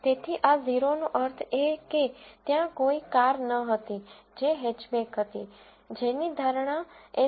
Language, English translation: Gujarati, So, this 0 means there was no car which was a hatchback, which was predicted as an SUV